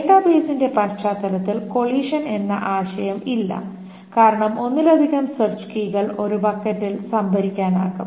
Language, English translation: Malayalam, In the context of database, there is no concept of collision because multiple search keys can be stored in a bucket